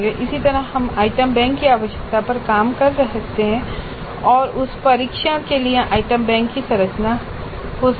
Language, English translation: Hindi, Similarly we can work out the requirements of the item bank and that would be the structure of the item bank for the test